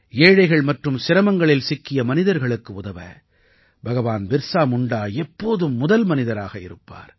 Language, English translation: Tamil, Bhagwan Birsa Munda was always at the forefront while helping the poor and the distressed